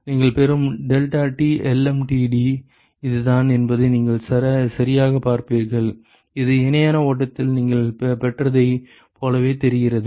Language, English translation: Tamil, And correctly you will see that this is exactly the deltaT lmtd that you will get, which looks very similar to what you got in parallel flow